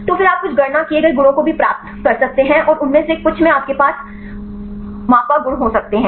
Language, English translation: Hindi, So, then you can also get some of the calculated properties, and some of them you can have the measured properties